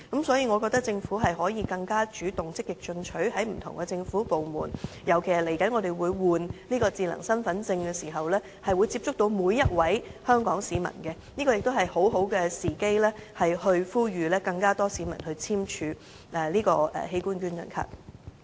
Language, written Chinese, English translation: Cantonese, 所以，我覺得政府可以更加主動，積極在不同政府部門宣傳器官捐贈，尤其是我們將要更換智能身份證，會接觸到每一位香港市民，這是一個很好的時機呼籲更多市民簽署器官捐贈卡。, Hence the Government can more proactively promote organ donation in different government departments . Given that there will be a territory - wide replacement of the smart Hong Kong identity cards for Hong Kong residents it will provide a golden opportunity to call on people to sign organ donation cards